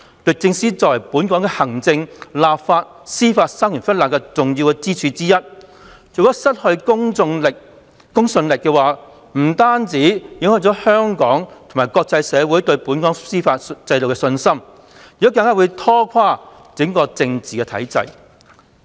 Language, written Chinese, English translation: Cantonese, 律政司作為本港的行政、立法及司法三權分立的重要支柱之一，如果失去公信力，不單影響香港及國際社會對本港司法制度的信心，更會拖垮整個政治體制。, DoJ is one of the important pillars in the separation of powers among the executive the legislature and the judiciary in Hong Kong . The loss of public confidence will not only affect the confidence of the local and international communities in our judicial system and this may even ruin the entire political institution